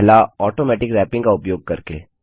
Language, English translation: Hindi, The first one is by using Automatic Wrapping